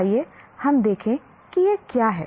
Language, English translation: Hindi, Let us look at what that is